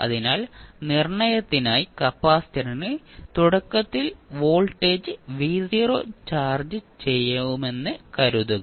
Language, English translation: Malayalam, So, for determination let us assume that the capacitor is initially charged with some voltage v naught